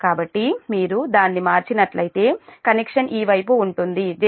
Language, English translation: Telugu, so if you convert it, then connection will be: this side will be point j, point one, two